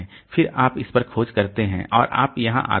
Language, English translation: Hindi, Again you search onto this and then we come here